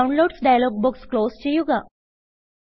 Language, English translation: Malayalam, Close the Downloads dialog box